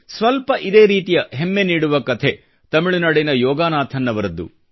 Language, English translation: Kannada, Somewhat similar is the story of Yogananthan of Tamil Nadu which fills you with great pride